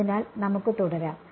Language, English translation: Malayalam, So, let us proceed